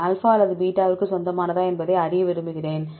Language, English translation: Tamil, I want to know whether this belongs to alpha or beta